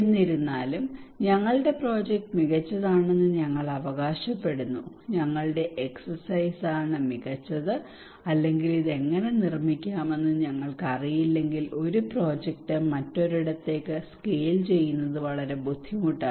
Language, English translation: Malayalam, Nevertheless, we are claiming that our project is better our exercise is better so if we do not know how to make this one how to deliver this kind of outcomes then it is very difficult to scale up one project to another place